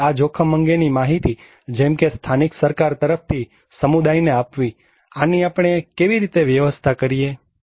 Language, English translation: Gujarati, So, these risk communications like local government to the community, how we can manage this one